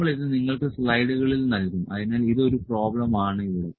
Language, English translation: Malayalam, So, we will provide you this in the slides, so this is a problem here